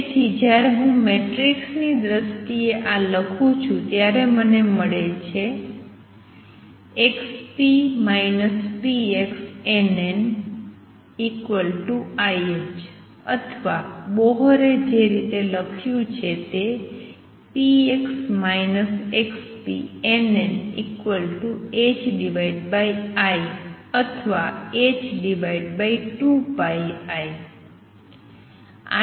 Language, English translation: Gujarati, Therefore, when I write this in terms of matrices i get x p minus p x n, n equals i h cross or return the way Bohr wrote it p x minus x p n n equals h cross over i or h over 2 pi i